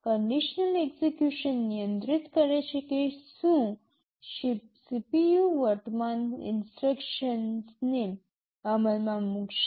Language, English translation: Gujarati, Conditional execution controls whether or not CPU will execute the current instruction